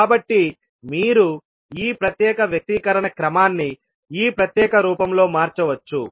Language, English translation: Telugu, So you can rearrange the this particular expression in this particular form